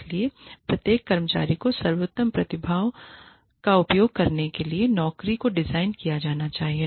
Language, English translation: Hindi, So, the job should be designed, to use the best talents, of each employee